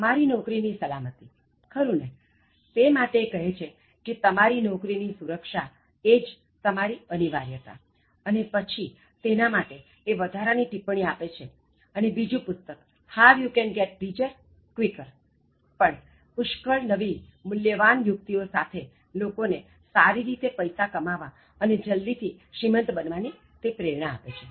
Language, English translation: Gujarati, Your job security, okay, about that he says that, so your only job security is your indispensability and then he gives more tips and then the other book, How You Can Get Richer Quicker, also comes with lot of valuable ideas and then really it motivates people to get richer quicker in a very decent manner